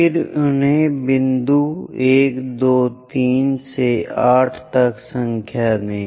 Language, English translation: Hindi, Then number them as point 1, 2, 3 all the way to 8